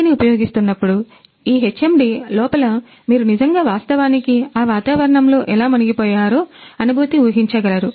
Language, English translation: Telugu, So, while using the HMD in inside this HMD you can actually visualize means actually you can feel that how you are immersed inside that environment